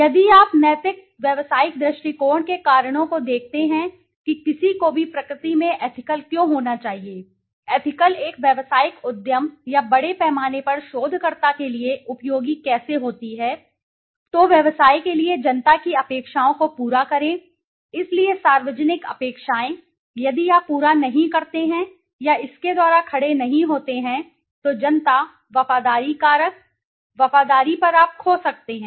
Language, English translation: Hindi, If you look at the reasons for the ethical business view why should anybody be ethical in nature, how being ethical is useful to a business enterprise or a researcher at large, fulfill public expectations for business, so the public expectations, if you do not fulfill or do not stand by it then the public might, the loyalty factor, you might lose on loyalty